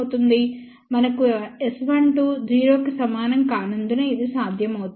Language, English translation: Telugu, This is possible because of the reason we had S 12 not equal to 0